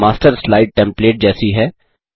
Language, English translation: Hindi, The Master slide is like a template